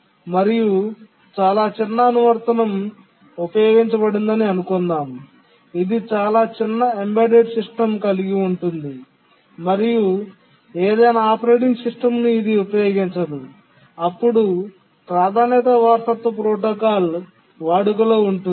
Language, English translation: Telugu, If you are using a very small application, a small embedded system which hardly has a operating system, then the priority inheritance protocol is the one to use